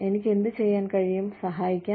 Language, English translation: Malayalam, What can I do, to help